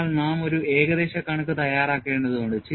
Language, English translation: Malayalam, So, we need to go in for approximate approach